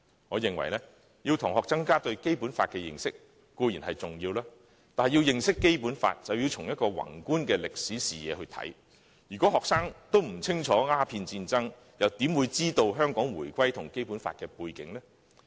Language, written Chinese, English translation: Cantonese, 我認為，要同學增加對《基本法》的認識，固然重要，但要認識《基本法》，便須從宏觀的歷史視野來看事情，如果學生不清楚鴉片戰爭，又怎會知道香港回歸與《基本法》的背景呢？, In my opinion it is of course important for students to gain fuller knowledge of the Basic Law . However in order to understand the Basic Law students have to look at history from a macroscopic perspective . If they know little about the Opium War how will they know the background of the reunification of Hong Kong and the Basic Law?